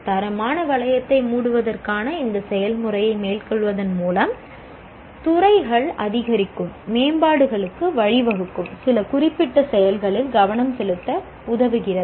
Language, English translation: Tamil, And by going through this process of closing the quality loop, the departments, it enables the departments to focus on some specific actions leading to incremental improvements